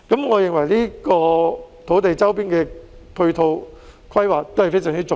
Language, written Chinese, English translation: Cantonese, 我認為這些土地周邊的配套規劃非常重要。, In my view the planning of supporting facilities around such land is very important